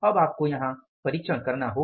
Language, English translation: Hindi, Now you have to apply the check here